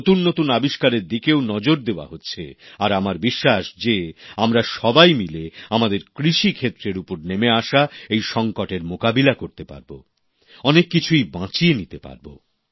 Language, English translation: Bengali, And attention is being paid to new inventions, and I am sure that together not only will we be able to battle out this crisis that is looming on our agricultural sector, but also manage to salvage our crops